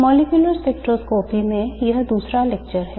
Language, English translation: Hindi, This is the second lecture in molecular spectroscopy